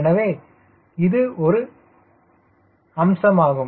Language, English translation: Tamil, so this is one aspect, right